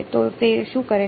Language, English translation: Gujarati, So, what does it do